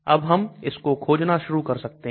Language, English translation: Hindi, Now we can start searching this also, For example